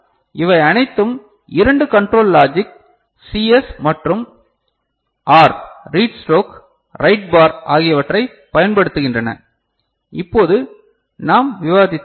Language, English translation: Tamil, And all these are using two control logic CS and R read stroke, write bar the one that we had discussed just now right